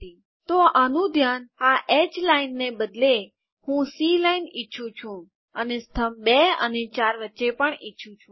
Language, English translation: Gujarati, So this is taken care of by saying instead of this horizontal line, I want a C line and between the columns 2 and 4